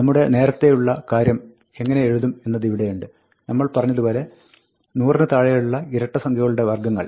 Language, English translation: Malayalam, Here is how you will write our earlier thing, which we had said, the squares of the even numbers below 100